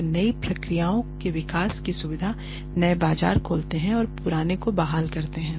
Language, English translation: Hindi, They also facilitate the development of new processes plants and products that open new markets and restore old ones